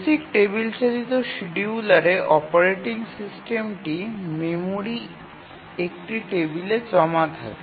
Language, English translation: Bengali, In the basic travel driven scheduler we have the operating system stores a table in the memory